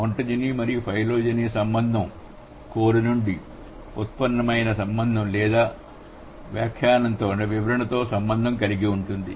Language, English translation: Telugu, So the ontogenia and phylogeny relation can be related with the code to derived relationship or the interpretation